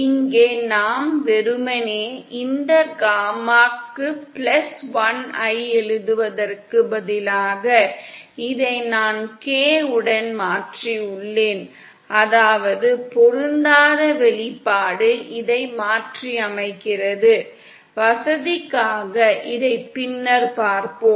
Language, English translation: Tamil, Here we have simply, instead of writing this gammak+1,k I've replaced this with k, that is the mismatch expression is replaced by this, just for convenience, we shall see this later